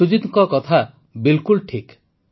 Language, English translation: Odia, Sujit ji's thought is absolutely correct